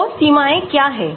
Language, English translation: Hindi, So, what are the limitations